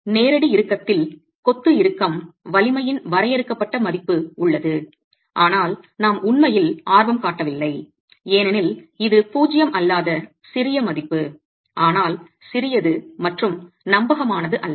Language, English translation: Tamil, There is a finite value of the masonry tension strength in direct tension, but we're really not interested because that's a value that is rather small, non zero but rather small and not dependable